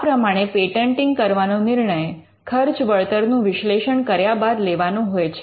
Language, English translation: Gujarati, So, patenting is something which you would do based on a cost benefit analysis